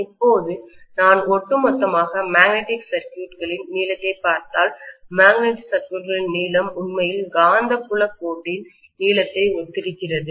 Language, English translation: Tamil, Now if I look at the overall length of the magnetic circuit, the length of the magnetic circuit actually corresponds to what is the length of the magnetic field line